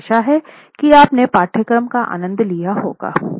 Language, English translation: Hindi, I hope you enjoyed the course